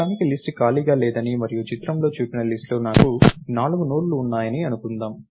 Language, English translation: Telugu, Lets assume for now that the list is non empty and I have four nodes in the list ah